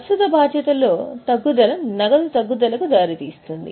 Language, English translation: Telugu, If there is a decrease in current liability, then the cash falls